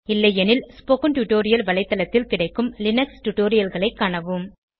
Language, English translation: Tamil, If not, please see the Linux series available on the spoken tutorial website